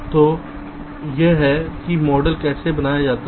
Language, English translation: Hindi, ok, so this is how the model is created